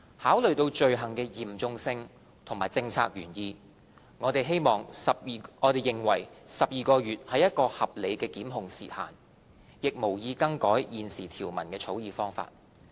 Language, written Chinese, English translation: Cantonese, 考慮到罪行的嚴重性及政策原意，我們認為12個月是一個合理的檢控時限，亦無意更改現時條文的草擬方法。, Considering the seriousness of the offences and the policy intent we think 12 months is a reasonable time limit for prosecution and do not intend to change the drafting approach of the current provision